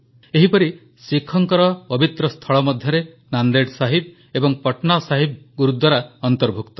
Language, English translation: Odia, Similarly, the holy sites of Sikhs include 'Nanded Sahib' and 'Patna Sahib' Gurdwaras